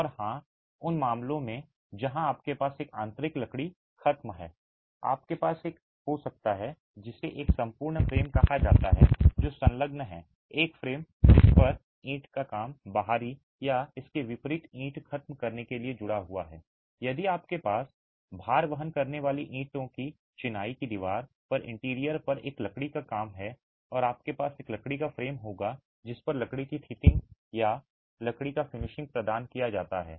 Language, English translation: Hindi, And of course in cases where you have an interior wood finish you might have what is called an entire frame that is attached, a frame onto which the brickwork is attached for a brick finish on the exterior or vice versa if you have timber work on the interior on a load bearing brick masonry wall, you would have a timber frame inside onto which timber sheathing or timber finish is provided